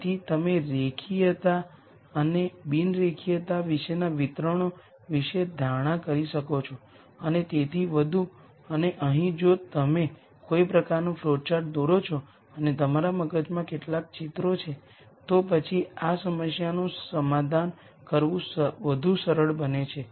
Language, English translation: Gujarati, So, you could make assumptions about distributions about linearity and non linearity the type of non linearity and so on and here if you if you kind of draw a flowchart and have some pictures in your head then it becomes easier to solve this problem